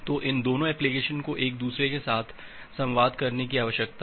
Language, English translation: Hindi, So these two application need to communicate with each other